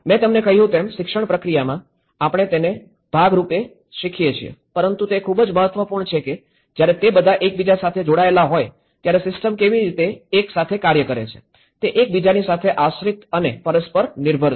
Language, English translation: Gujarati, As I said to you, in the education process, we learn by part by part but it is very important that how a system works together when it is all connected and interconnected, they are dependent and interdependent with each other